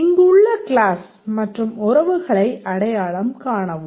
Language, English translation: Tamil, Please identify the class and relations